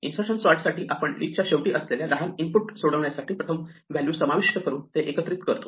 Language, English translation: Marathi, For insertion sort, we combine it by inserting the first value into the result of solving the smaller input that is the tail of the list